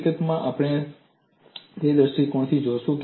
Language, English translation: Gujarati, In fact, we would look at from that perspective